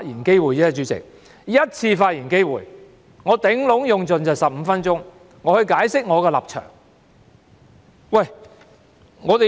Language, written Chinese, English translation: Cantonese, 主席，我只有一次發言機會，我最多只會用盡15分鐘解釋我的立場。, President I have only one chance to speak and I will use up my 15 minutes at most to explain my position